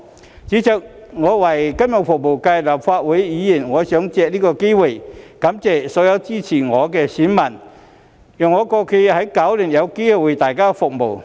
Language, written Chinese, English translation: Cantonese, 代理主席，身為金融服務界的立法會議員，我想借此機會感謝所有支持我的選民，讓我在過去9年有機會為大家服務。, Deputy President as a Legislative Council Member representing the financial service sector I wish to take this opportunity to thank all those constituents who support me . This has given me an opportunity to serve them over the past nine years